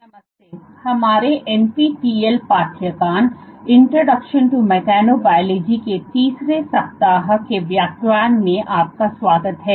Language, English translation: Hindi, Hello and welcome to a third week lecture of our NPTEL course introduction to mechanobiology